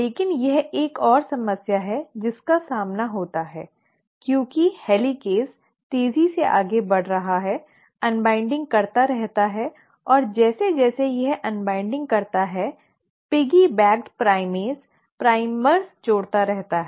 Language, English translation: Hindi, But there is another problem it encounters because the helicase is moving faster, keeps on unwinding and as it keeps on unwinding the piggy backed primase keeps on adding primers